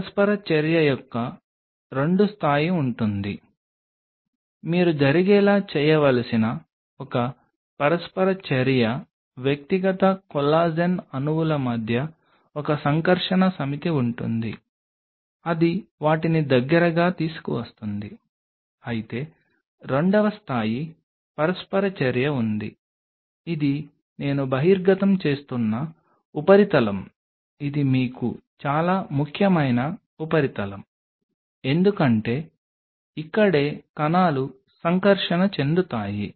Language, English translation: Telugu, There will be 2 level of interaction; one interaction you have to make made happen is between the individual collagen molecules there is one set of interaction which will be happening that will bring them close whereas, there is a second level of interaction which is the surface which is exposed which I am showing like this is the surface which is very important for you because this is where the cells are going to interact